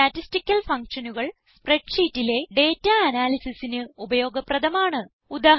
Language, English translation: Malayalam, Statistical functions are useful for analysis of data in spreadsheets